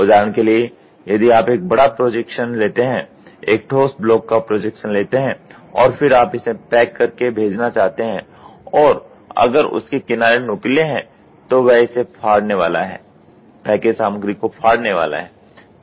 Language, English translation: Hindi, For example, if you try to make a large projection; projection of a solid block and then you want to packet and send and if it has sharp edges it is going to poke, it is going to tear the package material